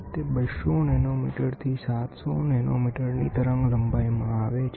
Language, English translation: Gujarati, It falls in the wavelength of 200 nanometre to 700 nanometre